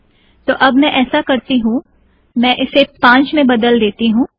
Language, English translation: Hindi, So what I will do is I will change this to 5th